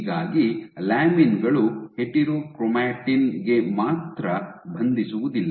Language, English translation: Kannada, So, lamins not only bind to the heterochromatin ok